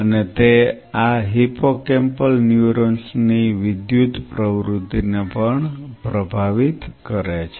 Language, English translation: Gujarati, And it also influences the electrical activity of these hippocampal neurons